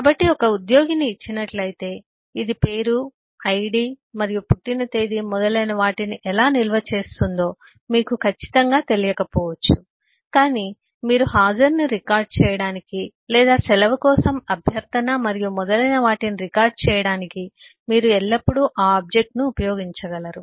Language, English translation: Telugu, so, given an employee, you may not exactly know how it stores the name, the id and date of birth and so on, but eh, you will always be able to use that object to record the attendance or request to leave and so on